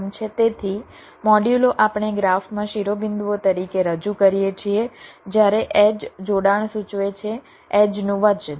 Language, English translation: Gujarati, so modules: we represent as vertices in the graph, while the edges will indicate connectivity, the edge weights